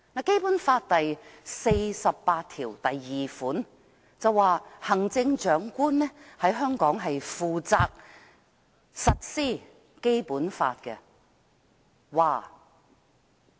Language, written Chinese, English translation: Cantonese, 《基本法》第四十八條第二項訂明，行政長官在香港負責執行《基本法》。, Article 482 of the Basic Law stipulates that the Chief Executive is responsible for the implementation of the Basic Law in Hong Kong